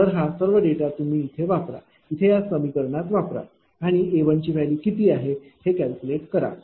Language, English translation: Marathi, So, all these all these data put here, in this equation and calculate what is the value of a 1